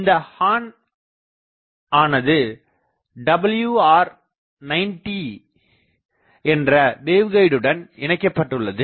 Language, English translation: Tamil, The horn is fed by a WR 90 waveguide